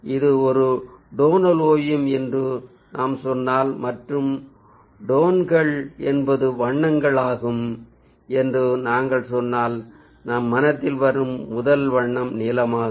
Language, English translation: Tamil, if we say this is a tonal painting and the tones are, ah, some color, then the first color that will come to our mind is blue, other than all other colors